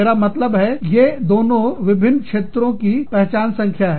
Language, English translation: Hindi, I mean, they both, identification numbers for different locations